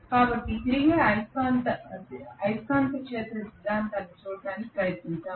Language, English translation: Telugu, So let us try to look at the revolving magnetic field theory